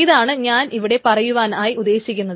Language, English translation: Malayalam, So this is what I am trying to say